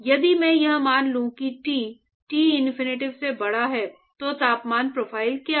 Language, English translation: Hindi, If I assume that Ts is greater than Tinfinity, what will be the temperature profile